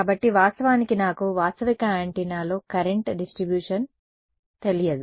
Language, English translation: Telugu, So, actually I do not know the current distribution in a realistic antenna